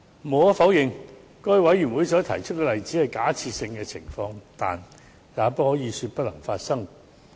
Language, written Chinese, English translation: Cantonese, 無可否認，該位委員提出的例子只是假設性情況，但也不可以說不會發生。, It is undeniable that the members example is just a hypothesis but it does not mean that it would not happen